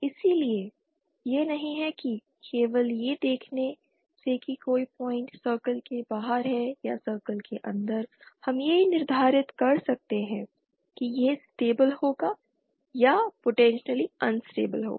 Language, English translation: Hindi, Hence its not that just by seeing whether a point is outside the circle or inside the circle we can determine whether it will be stable or potentially unstable